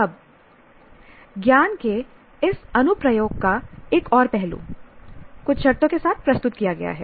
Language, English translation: Hindi, Now another aspect of this, application of knowledge with certain conditions present